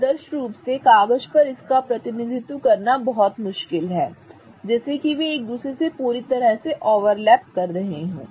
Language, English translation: Hindi, Now ideally it is very difficult to represent it on paper such that they are completely overlapping with each other